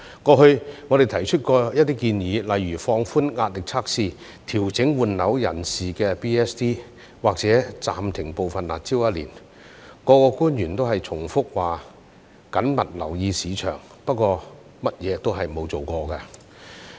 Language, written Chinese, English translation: Cantonese, 過去我們曾提出一些建議，例如放寬壓力測試、調整換樓人士的 DSD， 或暫停部分"辣招"一年，各官員也是重複表示"緊密留意市場"，不過甚麼也沒有做過。, We had made some suggestions such as relaxing the requirements of the stress test adjusting the double ad valorem stamp duty for persons switching homes or suspending some of the curb measures for a year . The officials have just repeatedly said that they are keeping a close eye on the market but doing nothing